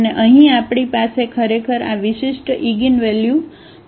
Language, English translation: Gujarati, And here we have indeed these distinct eigenvalues